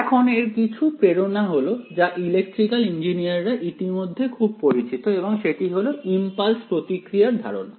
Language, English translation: Bengali, Now, some of the motivation for it is something that electrical engineers are already very very familiar with right and that is a concept of a impulse response